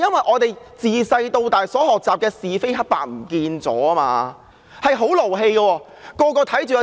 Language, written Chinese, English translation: Cantonese, 我們從小學習的是非黑白不見了，真的很氣人。, The value of black versus white and right versus wrong as we learnt in childhood has vanished and it is so infuriating really